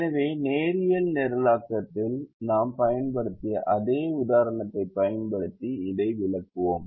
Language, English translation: Tamil, so let us explain this by using the same example that we have used in linear programming